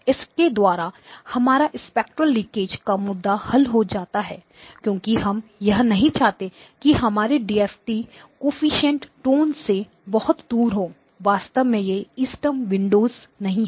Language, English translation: Hindi, This solves the spectral leakage issue because you do not want a DFT coefficients far away from where the tone lies to actually give you value